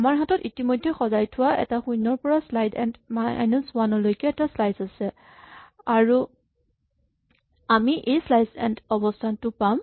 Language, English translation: Assamese, We have an already sorted slice to from 0 to slice n minus 1, and we have this position sliceend